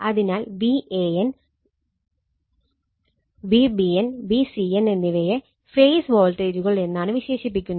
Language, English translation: Malayalam, So, V a n, V b n, V c n are called phase voltages right